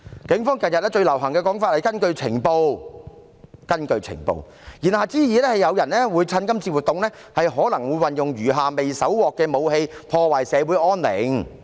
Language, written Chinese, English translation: Cantonese, 警方近日最流行的說法是"根據情報"，言下之意，是可能有人會趁機使用餘下未搜獲的武器，破壞社會安寧。, Recently the most popular expression of the Police is according to the intelligence implying that someone may take the opportunity to use the remaining unseized weapons to disrupt social peace